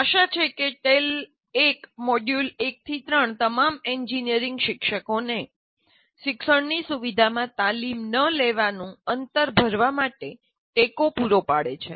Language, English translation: Gujarati, So, tail one, module one, two, three, they hopefully provide support to all engineering teachers to fill the gap of not undergoing training in facilitating learning